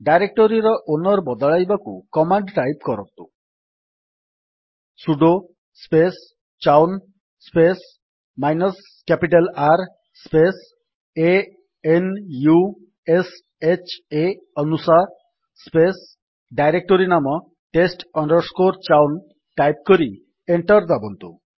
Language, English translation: Odia, To change the owner of the directory, type the command: $ sudo space chown space minus capital R space a n u s h a anusha space test chown which is directory name and press Enter